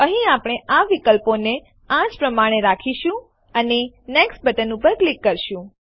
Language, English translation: Gujarati, Here, we will leave the options as they are and click on Next